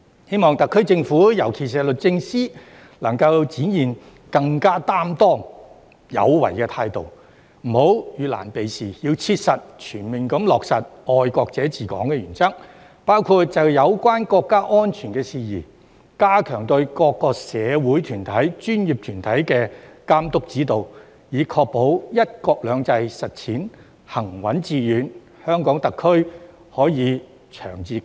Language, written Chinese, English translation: Cantonese, 希望特區政府——尤其是律政司——能夠展現更擔當有為的態度，不要遇難避事，要切實全面地落實"愛國者治港"的原則，包括就有關國家安全事宜，加強對各個社會團體和專業團體的監督指導，以確保"一國兩制"實踐行穩致遠，香港特區可以長治久安。, I hope that the SAR Government―especially DoJ―will demonstrate a more accountable and proactive attitude refrain from evading difficulties as well as conscientiously and fully implement the principle of patriots administering Hong Kong including strengthening the supervision of and guidance for various social groups and professional bodies in relation to matters concerning national security so as to ensure the steadfast and successful implementation of one country two systems and the long - term stability and safety of HKSAR